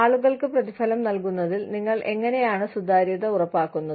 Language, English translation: Malayalam, How do you ensure transparency, in rewarding people